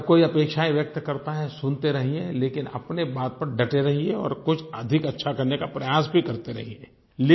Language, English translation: Hindi, Everyone expresses their expectations; just keep listening, but stick to your point and make an effort to do something even better